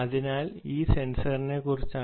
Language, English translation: Malayalam, so this is about the ah sensor